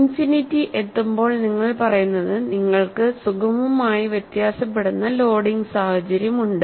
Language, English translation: Malayalam, At infinity, you only say, you have a smoothly varying loading situation